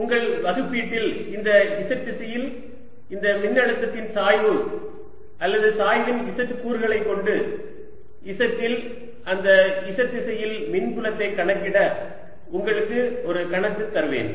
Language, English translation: Tamil, as simple as that in your assignment i will give you a problem: to calculate the electric field in that z direction, at z, by taking gradient of this potential in this z direction, or or the z component of the gradient